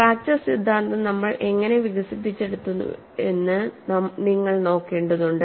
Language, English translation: Malayalam, See you will have to look at what way we have developed the fracture theory